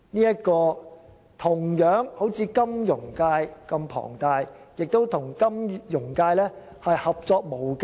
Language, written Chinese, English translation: Cantonese, 這個業界如同金融界般規模龐大，亦與金融界合作無間。, This industry is comparable to the financial industry in terms of size and there is a close tie between them